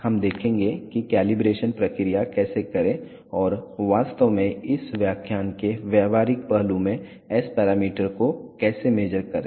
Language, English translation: Hindi, We will see how to do the calibration process and how to actually measure the S parameters in the practical aspect of this lecture